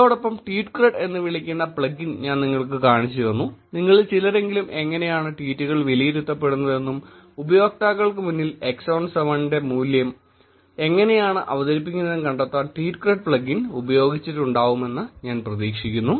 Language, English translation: Malayalam, And then I showed you about plugin which is called TweetCred, I hope some of you have played around with the tweetcred plugin to find out how the tweets are evaluated and the value of x on 7 is presented to the users